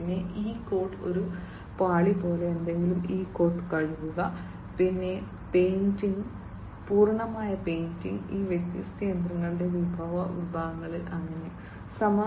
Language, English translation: Malayalam, Then something like you know a layer of coating e coat and wash, then painting, full painting, of these different machinery that the different, different parts and so on